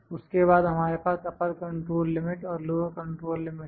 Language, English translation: Hindi, Then we have upper control limit and lower control limit